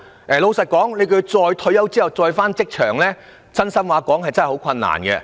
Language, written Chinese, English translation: Cantonese, 坦白說，要他們在退休後重返職場是很困難的。, Frankly speaking it will be very difficult for them to rejoin the labour force